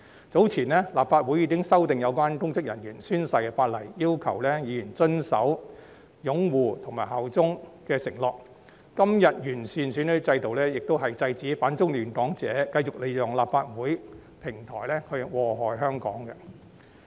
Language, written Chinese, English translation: Cantonese, 早前，立法會已經修訂有關公職人員宣誓的法例，要求議員遵守擁護及效忠的承諾；今天完善選舉制度，亦是制止反中亂港者繼續利用立法會的平台禍害香港。, Earlier on the Legislative Council has already amended the legislation on oath - taking by public officers by requiring Members to observe the pledge of upholding the basic law and allegiance . Today the improvement of the electoral system also seeks to stop anti - China disruptors from continuously using the Legislative Council as a platform to ruin Hong Kong